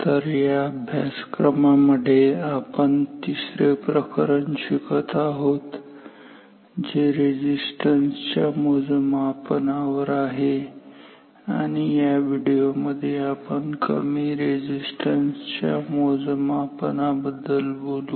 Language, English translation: Marathi, So, we are discussing our third chapter in this course which is measurement of resistance and in this video we will talk about low resistance measurement